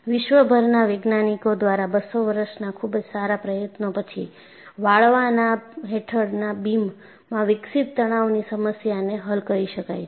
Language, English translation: Gujarati, Only, after 200 years of concentrated effort by scientists across the world, could solve the problem of stresses developed in a beam under bending